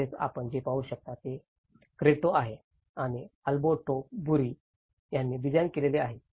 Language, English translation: Marathi, Also, what you can see is the Cretto which is designed by Alberto Burri